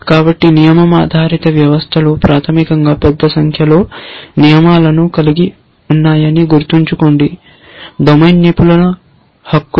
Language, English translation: Telugu, So, remember that the rule based systems basically consists of a large number rules set, the domain expert rights